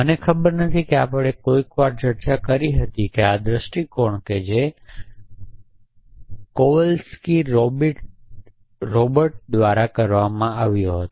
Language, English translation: Gujarati, And I do not know whether we had discussed is sometime but the view that was performed by Kowalski Robert